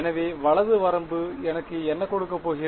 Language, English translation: Tamil, So, right limit is going to give me what